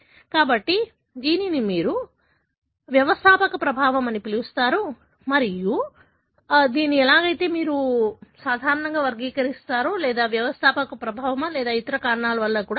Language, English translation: Telugu, So, this is what you call as founder effect and that is how you normally characterize and see whether it is a founder effect or it could be because of some other reason